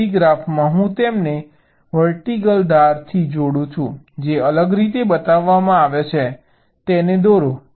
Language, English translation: Gujarati, then in the graph i connect them by a vertical edge which is showed differently